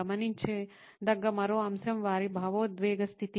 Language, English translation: Telugu, Another element to notice is their emotional status